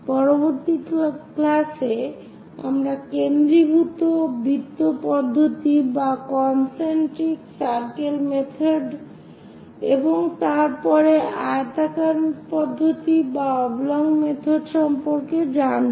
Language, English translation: Bengali, In the next class, we will learn about concentric circle method and thereafter oblong method